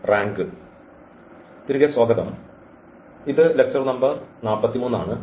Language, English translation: Malayalam, So, welcome back and this is lecture number 43